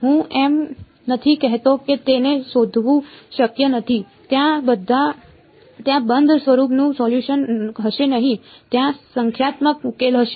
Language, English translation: Gujarati, I am not saying its not possible to find it there will not be a closed form solution there will be a numerical solution ok